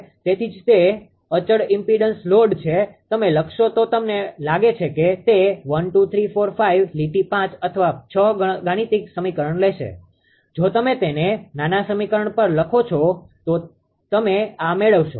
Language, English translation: Gujarati, That why it is constant impedance load you write that I think it will take 1 2 3 4 5 lines 5 or 6 mathematical equation if you write it to a small equation you will get it this one